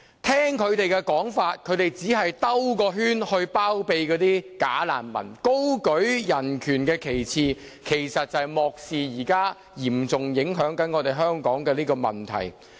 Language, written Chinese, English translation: Cantonese, 他們的說法只是為了繞一個圈包庇"假難民"，高舉人權旗幟，卻漠視了現時嚴重影響香港的問題。, They just kept going round in circles to connive at bogus refugees holding high the banner of defending human rights but turning a blind eye to the problem which is seriously affecting Hong Kong now